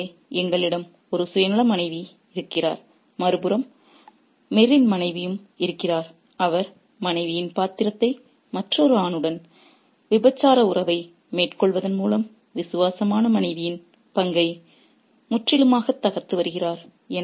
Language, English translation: Tamil, So, we have one self centered wife there and on the other hand we have Mirz's wife who is completely subverting the role of the wife, the role of the loyal wife by carrying on an adult relationship with another man